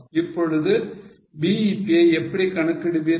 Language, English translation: Tamil, Now how will you compute BEP